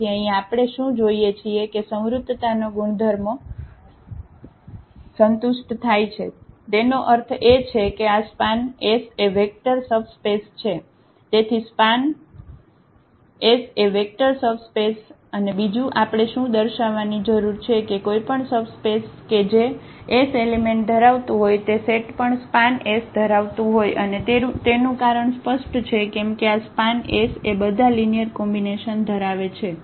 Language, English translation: Gujarati, So, what we have seen here the closure properties are satisfied; that means, this is span S is a vector subspace so, span S is a vector subspace and what else we need to show that that any subspace containing the element of S is also that set will also contain a span S and the reason is clear because this is span S contains all the linear combinations